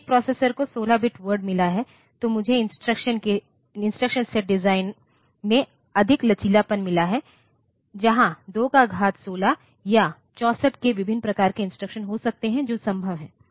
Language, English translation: Hindi, If a processor has got 16 bit word then I have got more flexibility in the instruction set design where there can be 2 power 16 or 64 k different types of instructions that are possible